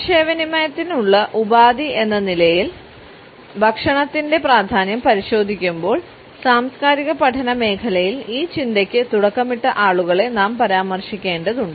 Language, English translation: Malayalam, When we look at the significance of food as a means of communication, we have to refer to those people who had pioneered this thought in the area of cultural studies